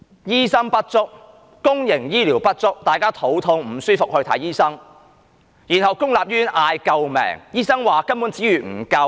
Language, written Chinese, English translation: Cantonese, 醫生不足，公營醫療不足，大家肚痛、身體不適，需要看醫生，然後公立醫院喊救命，醫生說資源不足。, While there is a shortage of doctors and inadequacy of public health care people who suffer from stomach ache and feel unwell have to visit doctors . Subsequently public hospitals cry out for help and doctors complain about insufficient resources